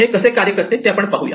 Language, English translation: Marathi, Let us look at how this works